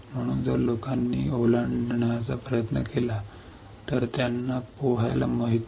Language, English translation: Marathi, So, if the people try to cross they do not know how to swim